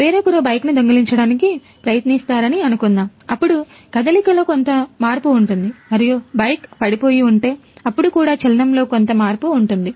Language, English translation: Telugu, Suppose someone else try to steal the bike, then there will be some change in motion and also if the bike has fallen away, then also there will be some change in motion